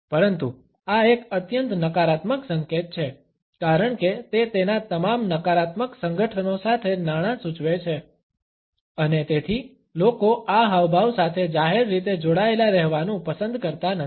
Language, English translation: Gujarati, But this is a highly negative gesture, because it indicates money with all its negative associations and therefore, people do not like to be associated with this gesture in a public manner